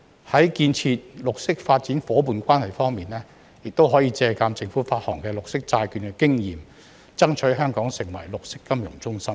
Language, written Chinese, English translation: Cantonese, 在建設綠色發展夥伴關係方面，可以借鑒政府發行綠色債券的經驗，爭取香港成為綠色金融中心。, In the case of fostering green development partnerships the Government may strive to turn Hong Kong into a green financial centre by drawing reference from the experience of issuing green bonds